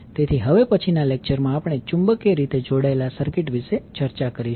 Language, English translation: Gujarati, So in the next lecture we will discuss about the magnetically coupled circuits